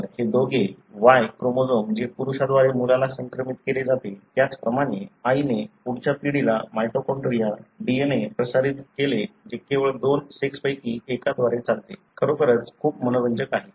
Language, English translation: Marathi, So, these two, that the Y chromosome which is transmitted by male to son, likewise the mitochondrial DNA transmitted by mother to next generation which only runs through one of the two sex is really, really very interesting